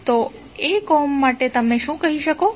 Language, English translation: Gujarati, So for 1 Ohm, what you will say